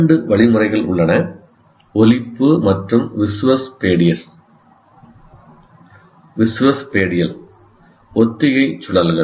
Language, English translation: Tamil, And there are two mechanisms, what you call phonological and visuospatial rehearsal loops